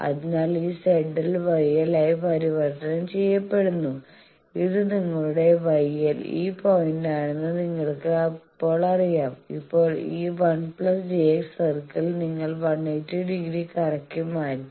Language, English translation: Malayalam, So, this Z L is converted to Y L that you now know from a thing that this is your Y L this point; now this 1 plus J X circle you changed by 180 degree rotating